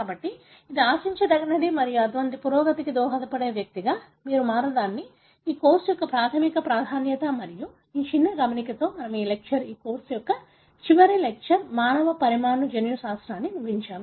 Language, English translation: Telugu, So, this is something that is expected and this ofcourse sort of primes you to become one of the person who may contribute to such advancements and with that little note, we are ending this lecture, the final lecture of this course, human molecular genetics